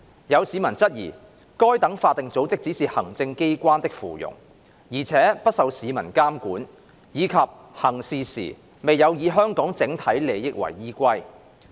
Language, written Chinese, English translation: Cantonese, 有市民質疑該等法定組織只是行政機關的附庸，而且不受市民監管，以及行事時未有以香港整體利益為依歸。, Some members of the public have queried that such statutory bodies are only subordinates of the Executive Authorities which are not subject to public monitoring and that they have not placed the overall interests of Hong Kong above all else in the course of their actions